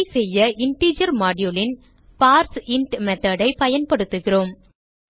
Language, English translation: Tamil, To do this we use the parseInt method of the integer module